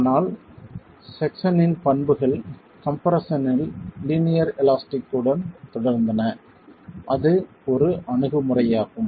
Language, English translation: Tamil, But the section properties continue to remain linear elastic in compression